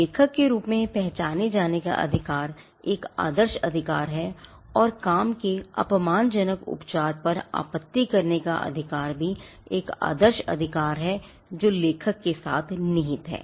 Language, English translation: Hindi, The right to be recognized as the author is a model right and also the right to object to derogatory treatment of the work is again a model right that vests with the author